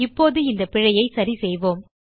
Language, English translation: Tamil, Now Let us fix this error